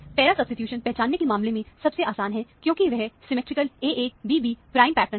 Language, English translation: Hindi, para substitution is the easiest to recognize, because it is a symmetrical AA prime BB prime pattern